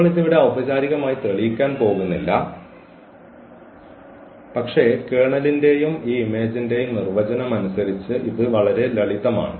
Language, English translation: Malayalam, So, we are not going to formally prove this here, but this is very simple as per the definition of the kernel and this image